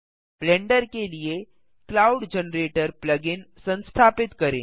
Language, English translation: Hindi, Here we can download and install the cloud generator plug in for Blender